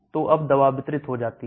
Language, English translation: Hindi, So now the drug gets distributed